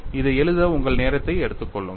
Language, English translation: Tamil, Take your time to write this down